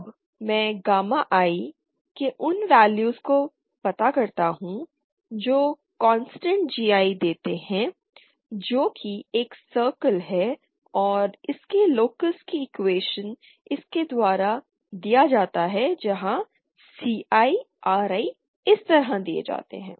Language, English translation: Hindi, Now the locus of those values of gamma I which give constant GI now that is a circle and the equation for that locus is given by this where CI, RI is given is like this